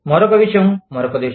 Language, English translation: Telugu, Another thing in, another country